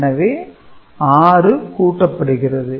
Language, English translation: Tamil, So, 6 is getting added